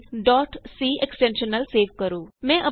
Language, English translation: Punjabi, Save the file with .c extension